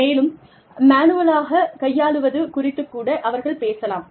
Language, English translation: Tamil, And, they could even talk about, manual handling